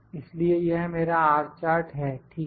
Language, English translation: Hindi, So, this is my R chart